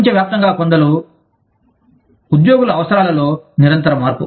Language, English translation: Telugu, Continuous change, in the needs of employees, worldwide